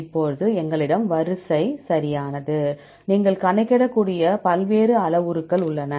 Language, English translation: Tamil, Now, we have the sequence right, there are various parameters you can calculate